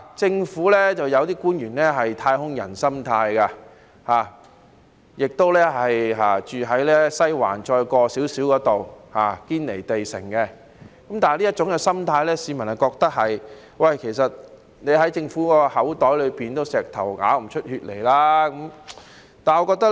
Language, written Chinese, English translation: Cantonese, 政府有部分官員不知是抱持"太空人"心態，還是居住於離西環遠一點點的"堅尼地城"般，致令市民認為要從政府口袋裏面拿到錢，仿如要從石頭擠血一樣。, I do not know whether it is because some government officials have got their heads in the clouds or live in a fantasy world which makes people think that to get money out of the Governments pocket is like getting blood from a stone